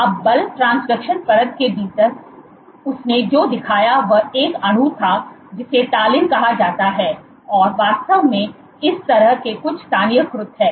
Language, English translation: Hindi, Now within the force transduction layer what she showed was the molecule called talin is actually localized something like this